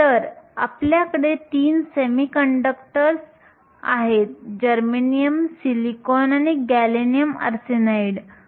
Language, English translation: Marathi, So, we had three semiconductors germanium, silicon and gallium arsenide